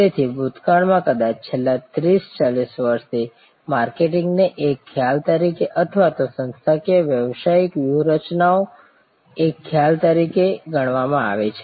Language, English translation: Gujarati, So, in the past I would say maybe for the past 30, 40 years marketing as a concept or even organizational business strategies as a concept